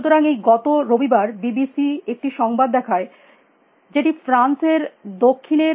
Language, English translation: Bengali, So, this last Sunday, BBC showed a news item, in which in the south of France